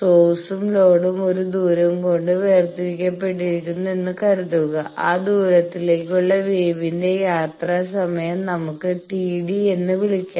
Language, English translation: Malayalam, So, let us try to see that suppose the source and load they are separated by a distance and the travel time of the wave to that distance, let us call t d